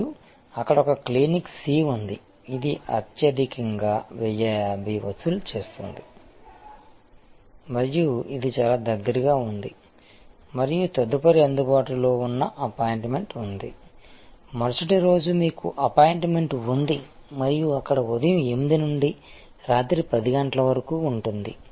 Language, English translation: Telugu, And there is a Clinic C, which charges the highest which is 1050 and it is just located quite close by and the next available appointment is, you have an appointment just the next day and there hours are 8 am to 10 pm